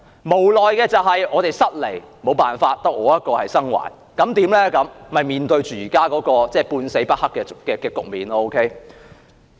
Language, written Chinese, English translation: Cantonese, 無奈的是，我們失利，沒有辦法，只有我一個生還，結果便面對現時"半死不黑"的局面。, Sadly we suffered from our disadvantages and there was nothing we could do . I am the only survivor and as a result I am facing the present moribund situation